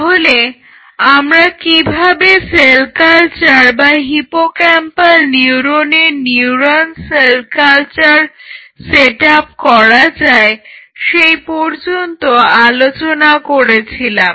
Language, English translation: Bengali, So, we reached up to the point how to set up a cell culture or neural cell culture of hippocampal neuron, since these are the neurons which dies during Alzheimer’s disease